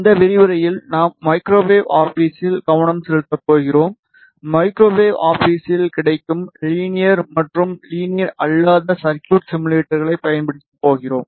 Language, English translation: Tamil, In this lecture we are going to focus on microwave office and we are going to use linear and non linear circuit simulators available in the microwave office